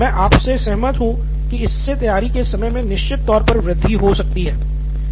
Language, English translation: Hindi, But I agree with you that it may lead to increase in preparation time